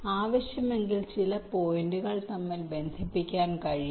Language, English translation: Malayalam, they can connect at certain points if required